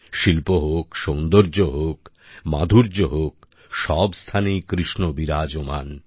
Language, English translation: Bengali, Be it art, beauty, charm, where all isn't Krishna there